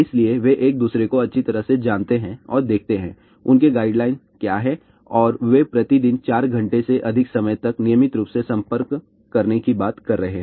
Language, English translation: Hindi, So, they know each other pretty well and see what are their guidelines and they are talking about regular exposure of more than 4 hours per day